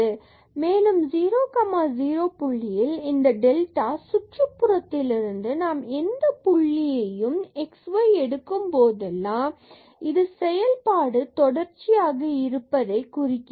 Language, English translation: Tamil, And, whenever we take any point xy from this delta neighborhood of this 0 0 point and this implies that the function is continuous